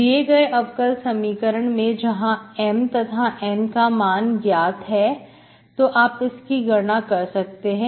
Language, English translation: Hindi, So given differential equation which you know M and N are known, so you calculate this